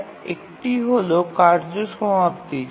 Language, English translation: Bengali, One is task completion